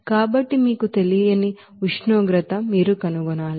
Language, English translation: Telugu, So that temperature you do not know, you have to find out